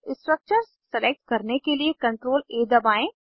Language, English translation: Hindi, Press CTRL+A to select the structures